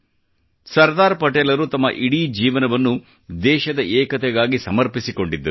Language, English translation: Kannada, Sardar Patel dedicated his entire life for the unity of the country